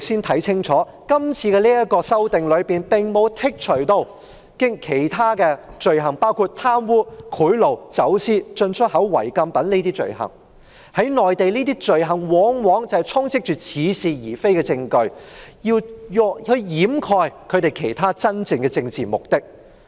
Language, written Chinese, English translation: Cantonese, 這次的修訂並無剔除貪污、賄賂、走私、進出口違禁品等罪行，在內地，這些罪行往往充斥似是而非的證據，以掩蓋真正的政治目的。, In this amendment exercise offences such as corruption bribery smuggling and import and export of prohibited items will not be removed . On the Mainland these offences often involve specious evidences that serve to conceal real political ends